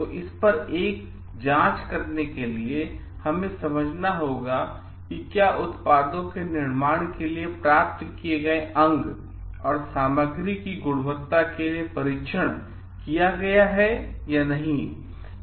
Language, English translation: Hindi, So, to put a check on that, we have to understand whether the parts and materials received from for manufacturing of the products have been tested for quality or not